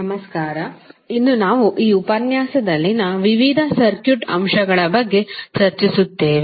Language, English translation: Kannada, Namaskar, so today we will discussed about the various circuit elements in this lecture